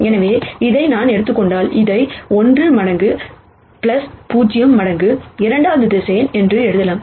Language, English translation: Tamil, So, I can see that if I take this I can write it as 1 times this plus 0 times the second vector